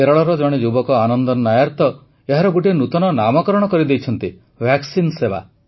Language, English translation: Odia, A youth Anandan Nair from Kerala in fact has given a new term to this 'Vaccine service'